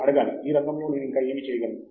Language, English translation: Telugu, You have to ask: what else can I do in this field